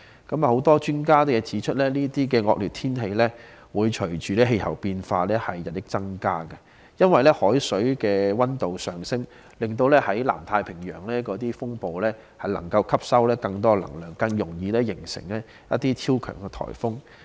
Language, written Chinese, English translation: Cantonese, 很多專家指出，這些惡劣天氣會隨着氣候變化而日益增加，因為海水水溫上升，令南太平洋的風暴吸收更多能量，更易形成超強颱風。, A number of experts have pointed out that climate change will result in increasing inclement weather conditions because with rising sea temperature storms in the South Pacific can absorb more energy and thus develop into super typhoons more easily